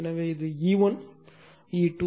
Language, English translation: Tamil, So, this is E 1 E 2